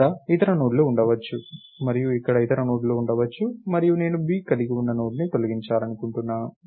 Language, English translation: Telugu, There are may be other nodes here and other nodes here, and I want to delete the Node containing b lets say right